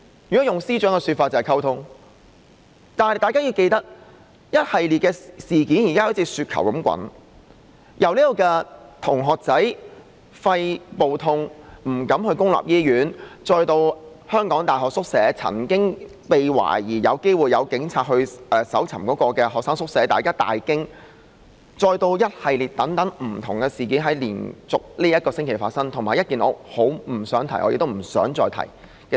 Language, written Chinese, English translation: Cantonese, 如果用司長的說法就是溝通，但大家要記得，一系列的事件現時像雪球般在滾大，由同學肺部感到疼痛但不敢到公立醫院求診，然後是懷疑有警員曾經到香港大學搜尋學生宿舍而令人大驚，以至這星期連續發生的一系列不同的事件，以及一件我不想再提的事情。, Quoting the Chief Secretary such work is communication . However Honourable colleagues ought to remember that a series of events is now snowballing First students suffering from lung pain dared not seek treatment at public hospitals; then police officers were suspected of conducting searches in the student hostel of the University of Hong Kong triggering great shocks; an array of different incidents occurred successively this week; and also a matter that I do not wish to mention again happened